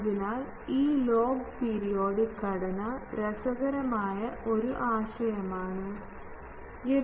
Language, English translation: Malayalam, So, this log periodic structure is was an interesting concept and various thing